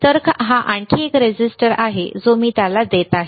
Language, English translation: Marathi, So, this is another resistor that I am giving it to him